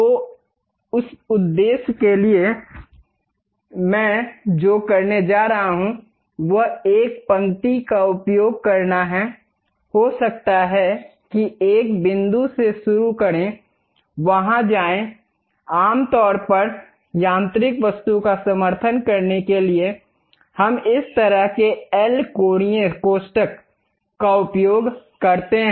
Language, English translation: Hindi, So, for that purpose, what I am going to do is, use a line, maybe begin with one point, go there; typically to support mechanical object, we use this kind of L angular brackets